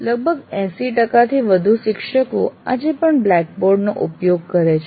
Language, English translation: Gujarati, And fairly more than 80% of the faculty today are still using blackboard